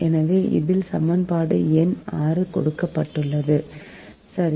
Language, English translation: Tamil, so in this is given equation number six, right